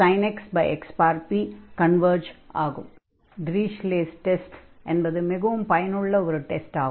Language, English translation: Tamil, So, we can use that Dirichlet test like we have done in the earlier problems, so this is similar to the problem number 1